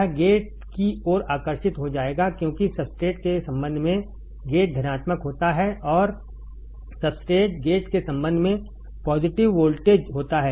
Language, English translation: Hindi, It will get attracted towards the gate because gate is positive with respect to substrate right with respect to substrate gate is positive voltage